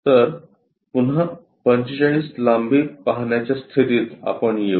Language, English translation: Marathi, So, 45 length again we will be in a position to see